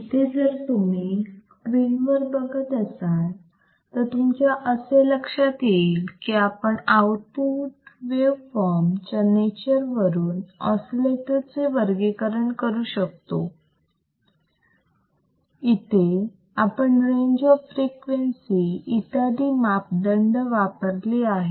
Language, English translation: Marathi, So, if you come back on the screen, what we can see is that the oscillators can be classified based on the nature of output of the waveform nature of the output waveform the parameters used the range of frequency, etc etc